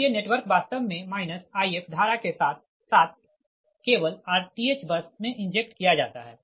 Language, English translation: Hindi, right, so the network actually is injected with current minus i f only at the r th bus